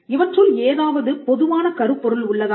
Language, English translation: Tamil, Is there a common theme over it